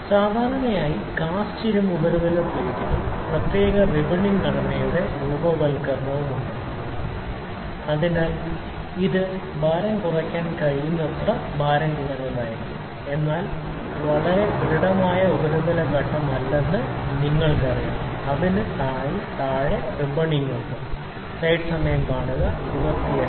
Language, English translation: Malayalam, The commonly used cast iron surface plates has special ribbing and structures formation under the surface so, that this will be as light in the weight as possible, but you know it is not very solid surface phase it is having ribbings below it you can see